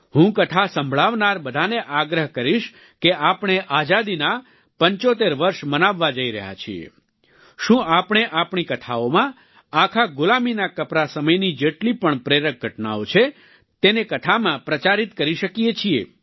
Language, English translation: Gujarati, I urge all storytellers that soon we are going to celebrate 75 years of independence, can we propagate in our stories as many inspiring events as there were during the entire period of our enslavement